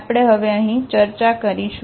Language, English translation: Gujarati, We will discuss here now